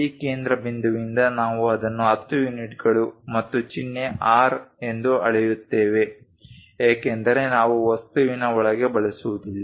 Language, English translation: Kannada, From this center if I am measuring that it is of 10 units and symbol is R because we do not use inside of the object